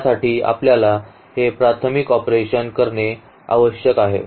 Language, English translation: Marathi, So, for that we need to do this elementary operation